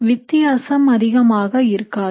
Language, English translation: Tamil, So the difference will not be much